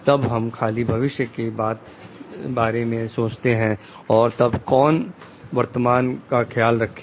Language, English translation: Hindi, Then we think only of the future, and who takes care of your present